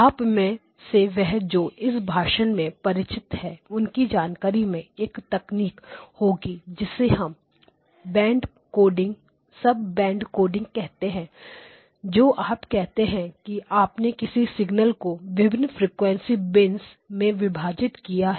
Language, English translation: Hindi, Those of you who are familiar with the speech you have a technique called sub band coding where you say that you split the signal into different frequency bins